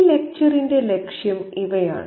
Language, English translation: Malayalam, Okay, the objective of this lecture are these